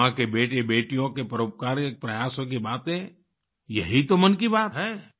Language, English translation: Hindi, Talking about the philanthropic efforts of the sons and daughters of Mother India is what 'Mann Ki Baat' is all about